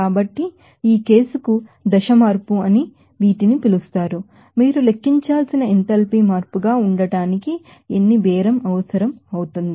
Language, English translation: Telugu, So, are these are called that a phase change to this case, how many bargain will be required for to be the enthalpy change that you have to calculate